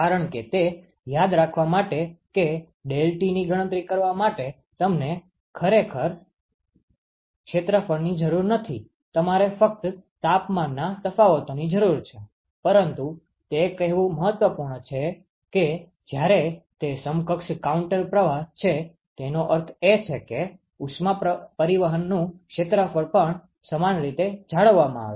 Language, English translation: Gujarati, Because to remember that for calculating deltaT you really do not need area you only need the temperature differences, but it is important to say that when it is equivalent counter flow; it means that the area of heat transport is also maintained similar